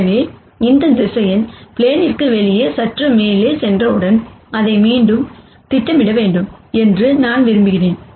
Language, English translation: Tamil, So, as soon as this vector goes up slightly outside the plane, I want it to be projected back